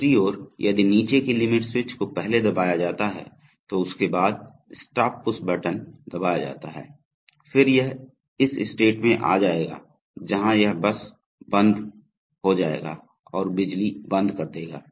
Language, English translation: Hindi, On the other hand, if before the bottom limit switch is pressed if the stop push button is pressed then it will come to this state, where it will simply stop and put the power on light off